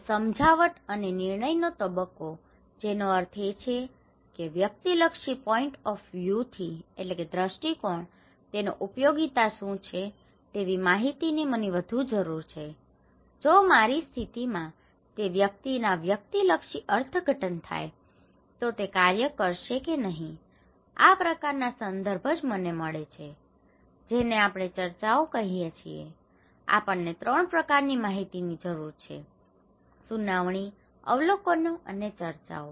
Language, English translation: Gujarati, So, the persuasion stage and decision stage that means, what is the utility of that from a subjective point of view, I need more information, if subjective interpretations of that one in my condition, it will work or not, this kind of context which I get, which we call discussions so, we have; we need 3 kinds of information; hearing, observations and discussions, okay